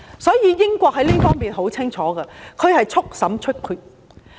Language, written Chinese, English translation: Cantonese, 所以，英國在這方面的態度十分清楚，速審速決。, The United Kingdom has adopted a very clear approach that such cases have to be tried and ruled as soon as possible